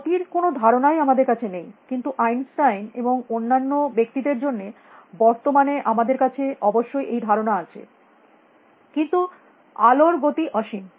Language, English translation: Bengali, We do not even have a notion of speed; of course nowadays we have thanks to Einstein and all these people but light travels at a finite speed